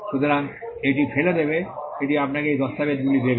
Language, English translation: Bengali, So, it will throw it will give you these documents